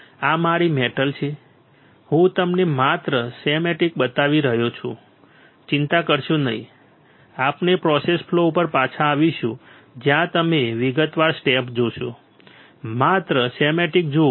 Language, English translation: Gujarati, This is my metal; metal I am just showing you the schematic do not worry we will we will come back to the process flow where you will see step in detail just look at the schematic